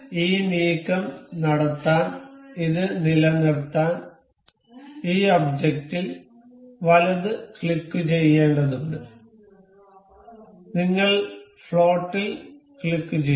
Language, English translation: Malayalam, To keep it to make this move we have to right click this the object, we earned we can click on float